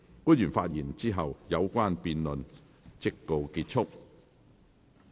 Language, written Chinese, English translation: Cantonese, 官員發言後，有關的辯論環節即告結束。, After the public officers have spoken the debate session will come to a close